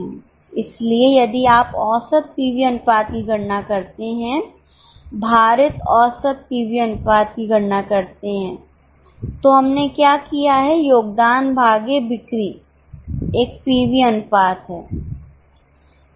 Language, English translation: Hindi, So, if you calculate the average PV ratio, weighted average PV ratio, what we have done is contribution upon sales is a PV ratio